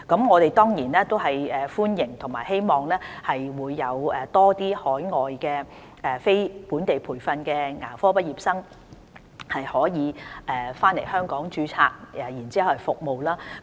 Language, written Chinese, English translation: Cantonese, 我們當然歡迎和希望多些海外非本地培訓牙科畢業生回港註冊，為我們提供服務。, We certainly welcome and hope to see the registration of more non - locally trained graduates in dentistry returning to Hong Kong from overseas to provide services for us